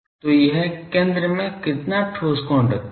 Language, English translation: Hindi, So, how much angle it is solid angle it is putting at the centre